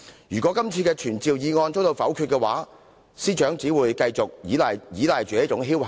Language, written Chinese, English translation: Cantonese, 如果今次的傳召議案被否決，司長只會繼續心存僥幸。, If this summoning motion is vetoed the Secretary for Justice will surely continue to take chances